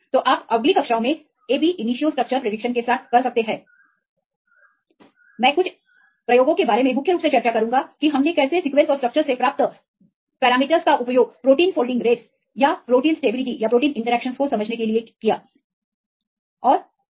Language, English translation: Hindi, So, you can do with these ab initio structure prediction in the next classes, I will discuss about some of the applications mainly how the parameters we derive from the sequence and structures can be used for understanding the protein folding rates or protein stability or the protein interactions right and the structure based drug design and so on